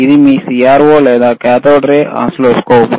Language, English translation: Telugu, O or CRO, it is a cathode ray oscilloscope